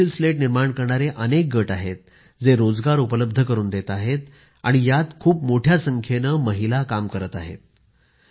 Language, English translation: Marathi, Here, several manufacturing units of Pencil Slats are located, which provide employment, and, in these units, a large number of women are employed